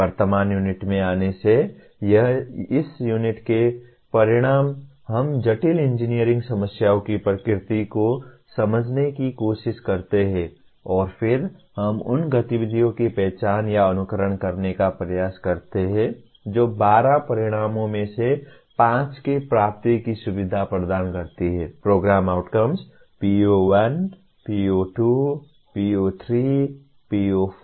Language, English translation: Hindi, Coming to the present unit, the outcomes of this unit, we try to understand the nature of complex engineering problems and then we try to identify or exemplify the activities that facilitate the attainment of 5 of the 12 outcomes, Program Outcomes